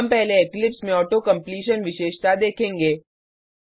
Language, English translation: Hindi, we will first look at Auto completion feature in Eclipse